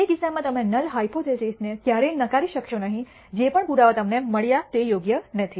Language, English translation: Gujarati, In which case you will never reject a null hypothesis whatever be the evidence you get that is not fair